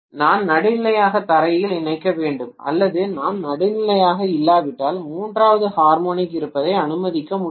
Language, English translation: Tamil, I have to connect neutral to ground or somewhere if I do not be neutral I will not be able to allow the third harmonic to exist